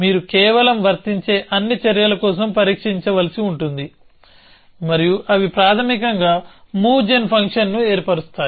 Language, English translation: Telugu, You have to simply test for all the actions, which are applicable and they will basically constitute a move gen function